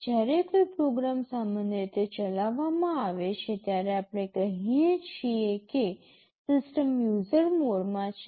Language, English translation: Gujarati, When a program is executed normally, we say that the system is in user mode